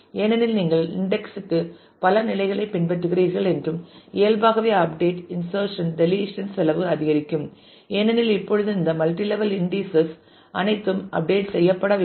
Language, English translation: Tamil, Because, you are following multiple levels for indexing and the cost naturally of update insert delete increases; because now all of these multiple levels of indices will have to be updated